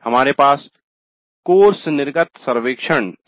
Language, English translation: Hindi, We have course exit survey